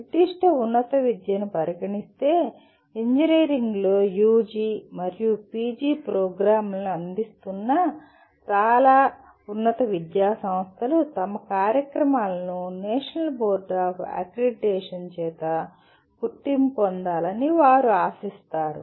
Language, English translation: Telugu, In coming to the specific higher education, most of higher education institutions offering UG and PG programs in engineering they would expect their programs to be accredited by the National Board of Accreditation